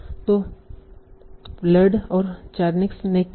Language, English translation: Hindi, So what Berland and Chaniac did